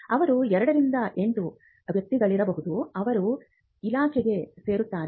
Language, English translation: Kannada, They could be around 2 to 8 personal who are inducted into the department